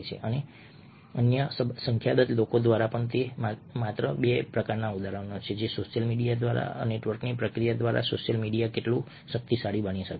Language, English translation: Gujarati, and these are just two examples of how powerful social media can be through a process of social network